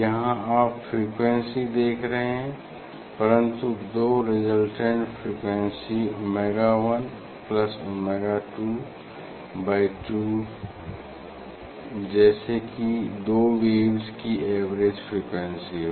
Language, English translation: Hindi, here you are seeing that frequency, but there are two resultant frequency omega 1 plus omega 2 by 2 as if this average frequency of these two waves and different frequency of the two waves, there is the difference frequency of the two waves